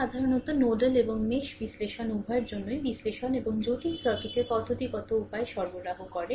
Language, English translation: Bengali, This is actually generally for both nodal and mesh analysis provide a systematic way of analysis and complex circuit right